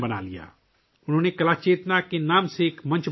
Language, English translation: Urdu, He created a platform by the name of 'Kala Chetna'